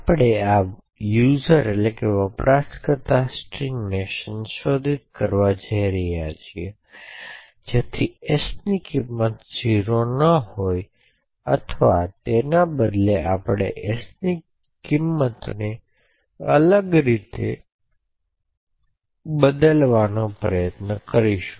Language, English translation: Gujarati, So we are going to modify this user string so that the value of s is not 0 or rather we will try to change the value of s to something different